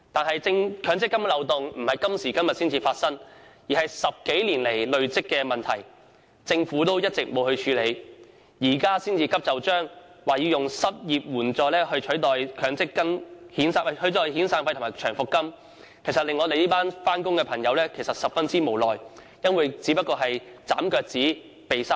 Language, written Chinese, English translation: Cantonese, 然而，強積金的漏洞是數十年來累積的問題，政府一直未有處理，現在才急就章，表示會以失業保險金取代遣散費和長期服務金，確實令我們這群上班族十分無奈，認為政府此舉只不過是"斬腳趾避沙蟲"。, However the loopholes found in the MPF System were created over decades which the Government has failed to address all along . Now that the Government hastily proposes substituting the severance payment and long service payment with unemployment insurance this has really made us the working class feel helpless . As we see it the Governments proposal is actually trimming the toes to fit the shoes